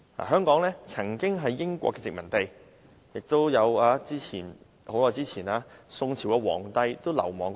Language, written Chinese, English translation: Cantonese, 香港曾經是英國殖民地，很久之前亦曾有宋朝皇帝流亡到此。, Hong Kong was once a British colony . Many years ago an emperor of the Song Dynasty fled the country and took refuge in Hong Kong